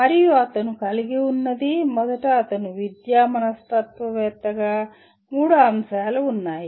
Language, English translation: Telugu, And what he has, first he said as an educational psychologist, there are three aspects